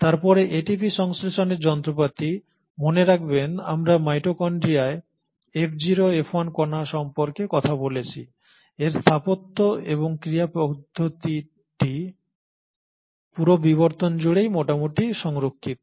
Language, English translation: Bengali, Then the ATP synthesising machinery; remember we spoke about the F0 F1 particle in the mitochondria, its architecture and its mode of action is fairly conserved across evolution